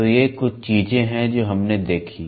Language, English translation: Hindi, So, these are something which we saw